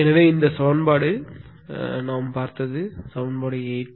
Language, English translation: Tamil, So this this equation we have seen this is equation 8